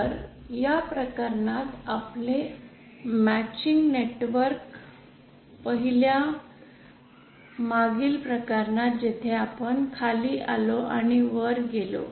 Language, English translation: Marathi, So in this case our matching network for the first previous case where first we went down and went up